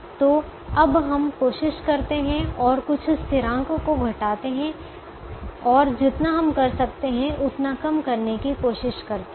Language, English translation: Hindi, so now let us try and subtract some constant and try to subtract as much as we can